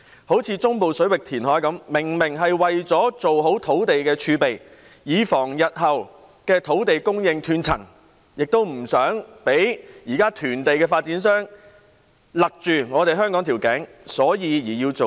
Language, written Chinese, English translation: Cantonese, 例如，中部水域填海明明是為了建立土地儲備，以防日後土地供應斷層，亦為了不讓現時囤地的發展商勒緊香港的頸，所以要造地。, For example the reclamation in the Central Waters is clearly aimed at developing a land reserve to prevent a future gap in land supply and avoid subjecting Hong Kong to the sway of the existing land - hoarding developers